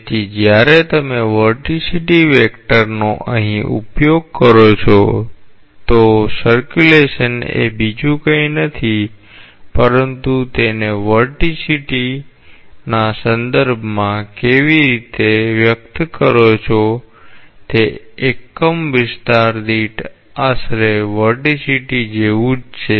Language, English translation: Gujarati, So, this Vorticity vector when you utilize this vorticity vector here, so the circulation is nothing but how you express it in terms of vorticity, it is just like roughly vorticity per unit area